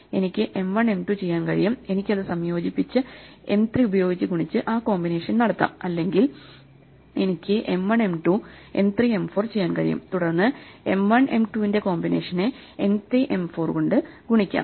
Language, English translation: Malayalam, I could do M 1 2 then I can combine that and do that combination with 3 or I can do M 1 2, M 3 4 and then do combination of M 1 2 multiplied by M 3 4 and so on